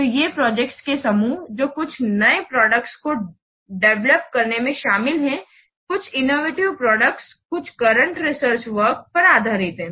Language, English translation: Hindi, So these are the groups of projects which are involved in developing some new products, some innovative product, based on some current research work